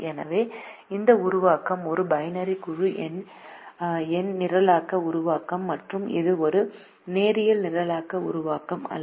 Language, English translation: Tamil, so this formulation is a binary integer programming formulation and it is not a linear programming formulation